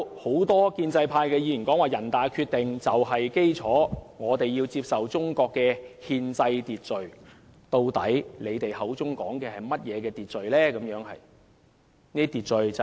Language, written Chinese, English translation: Cantonese, 很多建制派議員提到人大的《決定》就是基礎，我們要接受中國的憲制秩序，但他們口中所說的究竟是甚麼秩序呢？, Many pro - establishment Members have said the NPCSCs Decision forms the basis of the Bill calling on us to accept the constitutional order of the Mainland . But what is the order they actually refer to?